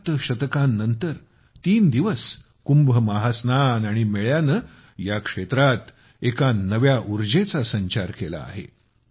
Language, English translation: Marathi, Seven centuries later, the threeday Kumbh Mahasnan and the fair have infused a new energy into the region